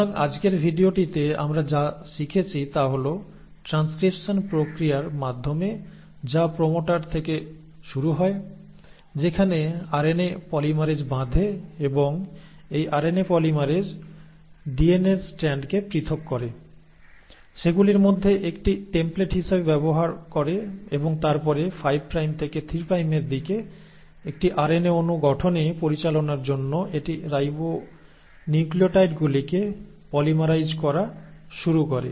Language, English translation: Bengali, So in today’s video what we have learnt is that through the process of transcription which starts at the promoter, where the RNA polymerase binds, and this RNA polymerase separates the strands of the DNA, uses one of them as a template and then from a 5 prime to 3 prime direction it starts polymerising the ribonucleotides leading to formation of an RNA molecule